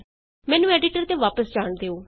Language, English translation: Punjabi, Let me go back to the editor